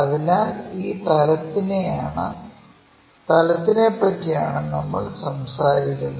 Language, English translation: Malayalam, So, this is the plane what we are talking about